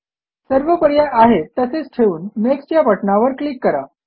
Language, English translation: Marathi, Leave all the options as they are and click on Next